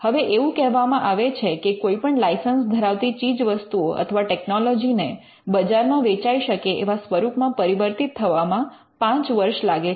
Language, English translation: Gujarati, Now, it is said that it takes 5 years for a licensed product technology to become a marketable product